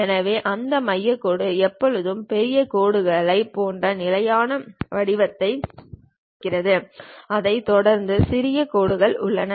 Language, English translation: Tamil, So, that center line always be having a standard format like big dashes followed by small dashes